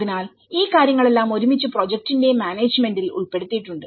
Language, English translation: Malayalam, So, all these things collectively put into the kind of management of the project